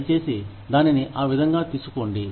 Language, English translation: Telugu, Please, do not take it, that way